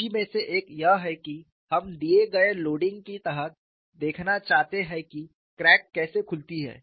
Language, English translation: Hindi, One of the interest is, we want to see under given loading how the crack opens up